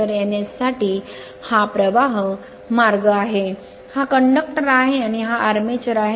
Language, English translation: Marathi, So, this is the flux path for N to S right this is conductors, and this is your armature